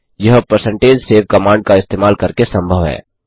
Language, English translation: Hindi, So, This is possible by using the percentage save command